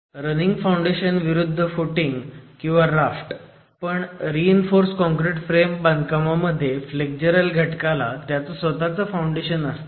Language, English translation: Marathi, So, running foundation versus footings or maybe a raft but the flexural element in the reinforced concrete frame construction has its own foundation